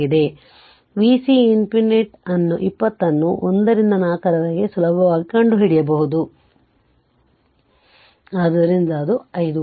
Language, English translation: Kannada, So, you can find out easily v c infinity 20 into 1 by 4, so 5 volt right